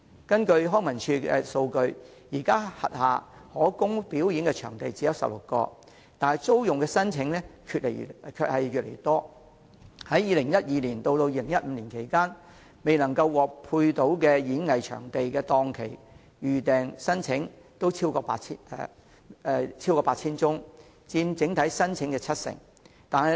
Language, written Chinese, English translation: Cantonese, 根據康樂及文化事務署數據，現時其轄下可供表演的場地只有16個，但租用的申請卻越來越多，在2012年至2015年期間，未能獲分配演藝場地檔期的預訂申請超過 8,000 宗，約佔整體申請的七成。, Based on the data of Leisure and Cultural Services Department currently there are only 16 performance venues under its purview but the number of venue booking applications are on the increase . Between 2012 and 2015 over 8 000 applications are not allocated with any time slot at performing arts venues constituting about 70 % of the total number of applications